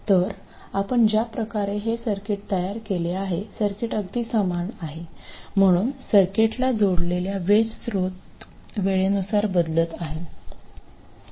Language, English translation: Marathi, So, the way I have set it up, the circuit is exactly the same, so the voltage source that is applied to the circuit is now time varying